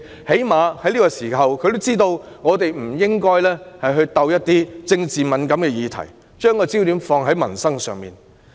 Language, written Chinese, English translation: Cantonese, 她最少也知道我們在這個時候不應觸及一些政治敏感的議題，而應把焦點放在民生。, At least she knew we should not touch certain politically sensitive issues at this juncture . Instead the focus should be put on the peoples livelihood